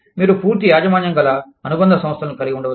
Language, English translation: Telugu, You could have, wholly owned subsidiaries